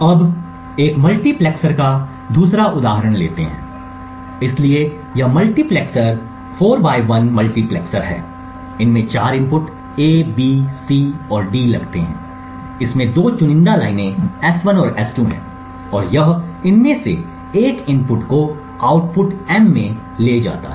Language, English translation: Hindi, this multiplexer is a 4 to 1 multiplexer, it takes 4 inputs A, B, C and D, it has two select lines S1 and S2 and it multiplexes one of these inputs to the output M